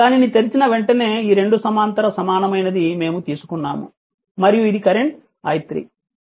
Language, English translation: Telugu, As soon as you open it, these 2 parallel equivalent we have taken and this is the current I 3